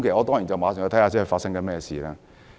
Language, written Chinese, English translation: Cantonese, 當然，我馬上查證發生甚麼事。, Certainly I made it a point to verify what had happened immediately